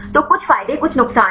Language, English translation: Hindi, So, somewhat advantages some disadvantages right